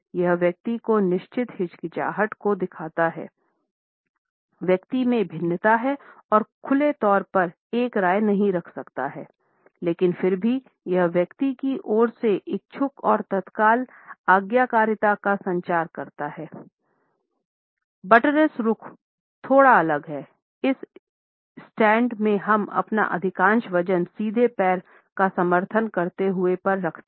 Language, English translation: Hindi, It indicates a certain hesitation on the part of the person, the person has diffidence and cannot openly wise an opinion, but nonetheless it also communicates a willing and immediate obedience on the part of this person